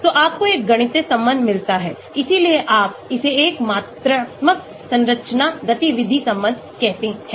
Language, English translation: Hindi, so you get a mathematical relation that is why you say, call it a quantitative structure activity relation